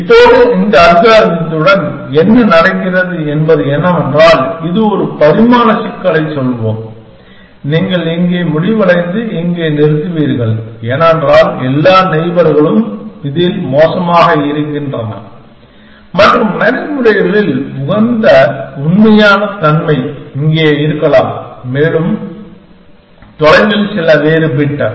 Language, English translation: Tamil, Now, what was happening with this algorithm is that, it along some let us say one dimensional problem, you would end up here and stop here, because all neighbors are worse in this and when in practices real optimum may be here or some were else bit further away essentially